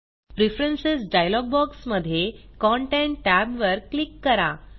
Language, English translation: Marathi, In the Preferences dialog box, choose the Content tab